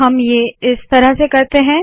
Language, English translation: Hindi, So we will do this as follows